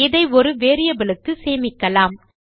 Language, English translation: Tamil, Let me just save this to a variable